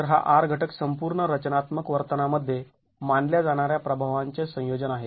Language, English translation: Marathi, So this R factor is a combination of effects that are considered in the overall structural behavior